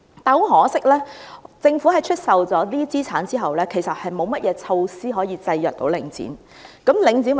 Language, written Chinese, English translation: Cantonese, 很可惜，政府在出售這些資產後，其實沒有任何措施可以制約領展。, Regrettably the Government actually has no measures in place to restrain Link REIT after selling out these assets